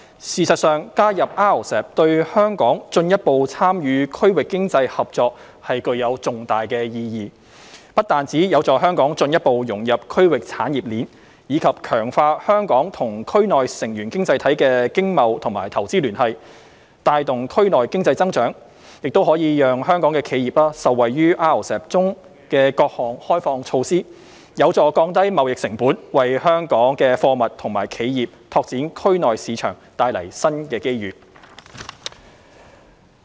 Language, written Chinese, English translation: Cantonese, 事實上，加入 RCEP 對香港進一步參與區域經濟合作具有重大意義，不但有助香港進一步融入區域產業鏈，以及強化香港與區內成員經濟體的經貿與投資聯繫，帶動區內經濟增長，亦可讓香港企業受惠於 RCEP 中的各項開放措施，有助降低貿易成本，為香港貨物及企業拓展區內市場方面帶來新機遇。, In fact joining RCEP has great significance for Hong Kongs further participation in regional economic cooperation . This will not only facilitate Hong Kongs further integration into the regional value chain and strengthen the economic trade and investment ties between Hong Kong and RCEP participating economies in the region and hence driving regional economic growth but also bring benefits to Hong Kongs enterprises under the various liberalization measures in RCEP thereby helping to lower the costs of trading and bringing new business opportunities for Hong Kongs goods and enterprises to expand their markets in the region